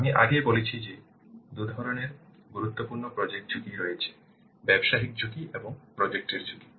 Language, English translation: Bengali, I have already told you that there are two kinds of important projects, business risks and what are the project risks